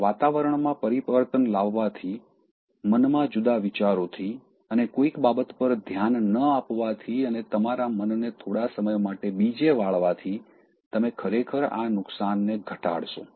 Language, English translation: Gujarati, Now changing the environment and changing your mind and not focusing on something and diverting your mind for some time will actually minimize the damage that might be caused